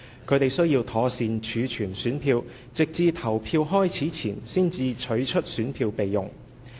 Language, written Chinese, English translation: Cantonese, 他們須妥善儲存選票，直至投票開始前才取出選票備用。, PROs and their deputies were required to keep safe custody of the ballot papers and unpack them only before the poll started